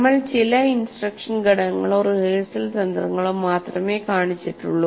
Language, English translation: Malayalam, So we only just shown some of them, some instructional components or rehearsal strategies